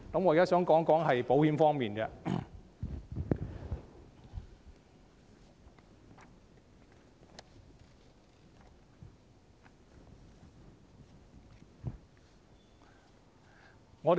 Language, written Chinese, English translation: Cantonese, 我現在想談談保險方面。, Now I would like to talk about insurance